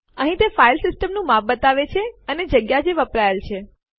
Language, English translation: Gujarati, Here it shows the size of the File system, and the space is used